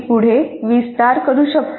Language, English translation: Marathi, Now I can expand further